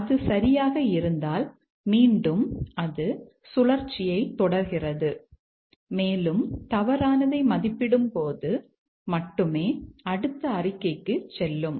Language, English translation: Tamil, And if it is true again it loop continues the loop and only when evaluates to false goes to the next statement